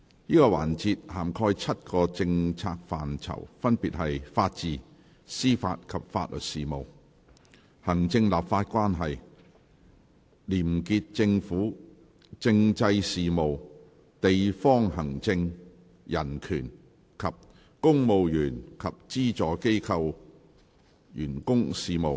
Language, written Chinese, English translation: Cantonese, 這個環節涵蓋7個政策範疇，分別是：法治、司法及法律事務；行政立法關係；廉潔政府；政制事務；地方行政；人權；及公務員及資助機構員工事務。, This session covers the following seven policy areas Rule of Law Administration of Justice and Legal Services; Executive - Legislative Relationship; Clean Government; Constitutional Affairs; District Administration; Human Rights; and Public Service